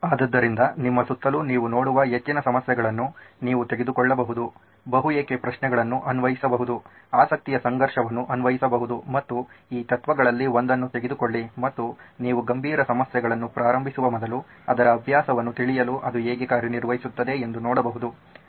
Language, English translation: Kannada, So you can take up more problems that you see all around you, apply the multi why, apply conflict of interest and take one of these principles and see if how it works just to get practice on that before you can embark on serious problems